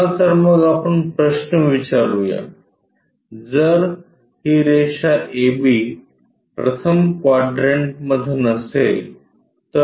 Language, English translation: Marathi, Let us ask a question, if this line a b is not in the 1st quadrant